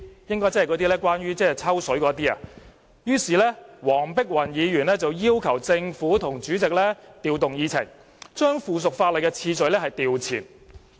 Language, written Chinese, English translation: Cantonese, 應該是關於"抽水"的問題吧——於是她要求政府和主席調動議程，把附屬法例的次序調前。, I suppose she would like to piggyback on the issue . So she asked the Government and the President to rearrange the order of agenda items and consider the subsidiary legislation first